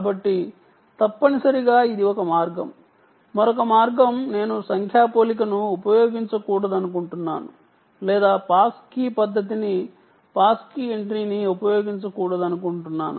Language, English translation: Telugu, the other way is i dont want to either use numeric comparison or i dont want to use the pass key ah method, pass key method, pass key entry